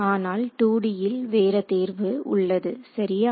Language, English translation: Tamil, In 2 D however, we have a choice ok